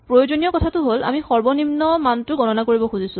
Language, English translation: Assamese, The important thing is we are computing minimum